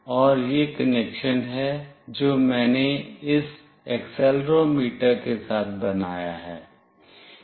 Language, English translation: Hindi, And this is the connection I have made with this accelerometer